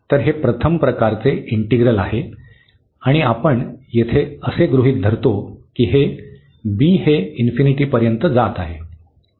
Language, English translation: Marathi, So, this is the integral of first kind and we assume here that this b is approaching to infinity